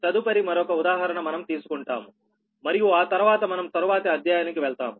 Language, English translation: Telugu, so next, another example we will take, and after that we will go to the next chapter, right